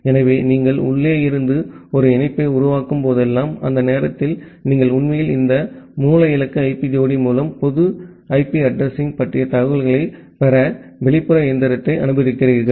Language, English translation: Tamil, So, whenever you are making a connection from inside, during that time you are actually allowing the outside machine to get a information about the public IP address through this source destination IP pair